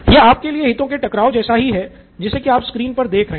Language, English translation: Hindi, This is the conflict of interest for you as you see it on the screen